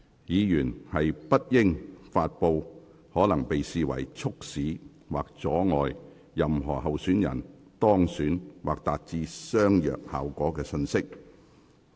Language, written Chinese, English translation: Cantonese, 議員不應發布可能會被視為促使或阻礙任何候選人當選或達致相若效果的信息。, Members should not disseminate messages that may be seen as causing or obstructing the election of any candidates or may achieve a similar result